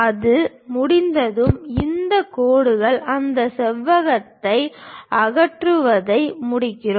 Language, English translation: Tamil, Once it is done, we finish this lines remove that rectangle